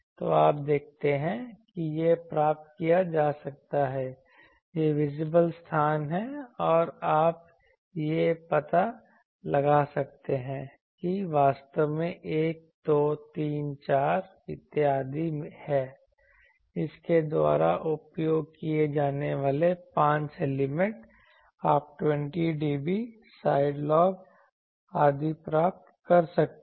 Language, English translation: Hindi, So, you see that this can be obtained, this is the visible space and you can find out that there are actually 1, 2, 3, 4 so, 5 elements are used by that you can get 20 dB side lobes etc